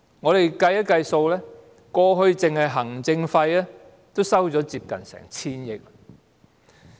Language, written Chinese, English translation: Cantonese, 我們計算一下，過去行政費已收取接近 1,000 億元。, We made a calculation and found that they had already collected almost 100 billion in the past